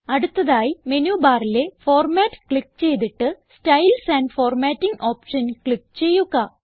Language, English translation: Malayalam, Next click on Format in the menu bar and click on the Styles and Formatting option